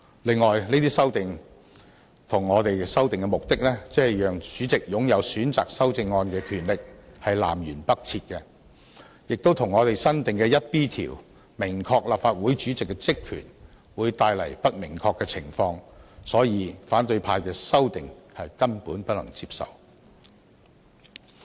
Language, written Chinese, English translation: Cantonese, 此外，這些修訂與我們修訂的目的，即讓主席擁有選擇修正案的權力南轅北轍，亦與我新訂的第 1B 條以訂明立法會主席的職權，帶來不明確的情況，所以反對派的修訂根本不能接受。, Moreover our proposals seek to give the President the power to select amendments whereas the purpose of the amendments proposed by opposition Members is extremely different . Besides they also bring uncertainties to the new Rule 1B proposed by me which provides for the powers and functions of the President . Thus I consider the amendments proposed by opposition Members totally unacceptable